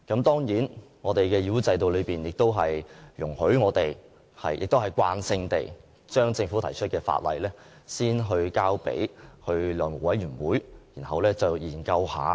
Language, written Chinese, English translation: Cantonese, 當然，議會制度亦容許我們慣性地把政府提出的法案先交付法案委員會研究。, Of course the parliamentary system also enables us to routinely refer Bills introduced by the Government to Bills Committees